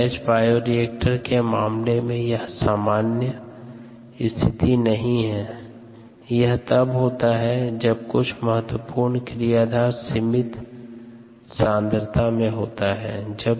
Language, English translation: Hindi, this cases rather uncommon in the case of a batch, a bioreactor, and can happen when some crucial but unusual substrate becomes limiting